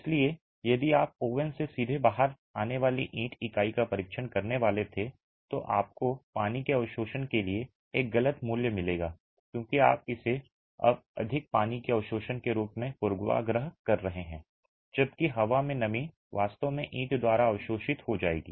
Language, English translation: Hindi, So, if you were to test that brick unit coming directly out of the oven, you will get a wrong value for the water absorption because you are biasing it now as having more water absorption whereas the moisture in the air will actually be absorbed by the brick anyway